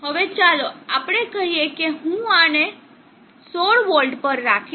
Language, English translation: Gujarati, Now let us say I will keep this at 16v